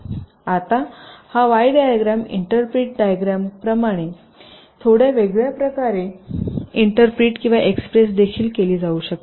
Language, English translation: Marathi, now this y diagram can also be expressed or interpreted in a slightly different way, as the diagram on the right shows